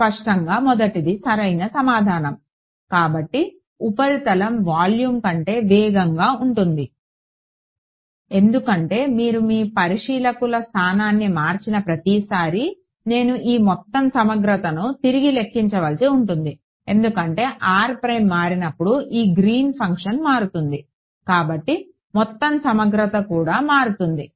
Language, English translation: Telugu, The first one obviously right; so surface is faster than volume, because every time you change your observer location r prime I have to recalculate this whole integral right because when r prime changes this Green’s function changes therefore, the whole integral also changes right